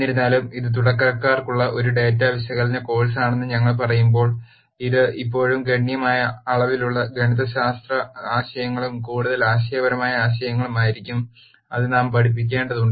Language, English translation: Malayalam, However, while we say this is a data analysis course for beginners, it would still be a substantial amount of information substantial amount of mathematical concepts and more conceptual ideas that we will have to teach